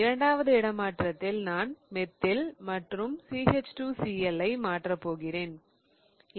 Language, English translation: Tamil, I am going to swap the methyl with CH2CL